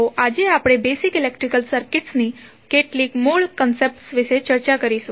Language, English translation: Gujarati, So, today we will discuss about some core concept of the basic electrical circuit